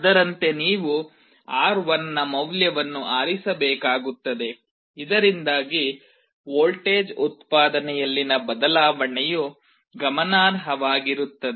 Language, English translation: Kannada, Accordingly you will have to choose the value of R1, so that the change in the voltage output can be significant